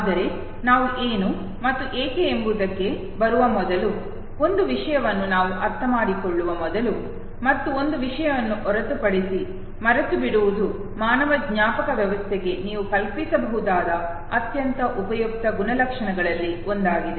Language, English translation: Kannada, But before we come to what and why, and how much let us understand one thing and except one thing that forgetting is one of the most useful attributes that you can visualize for human memory system